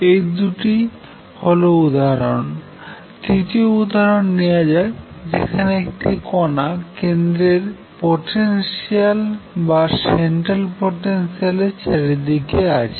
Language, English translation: Bengali, It is the two examples; third example let us take example number 3 where a particle is going around the central potential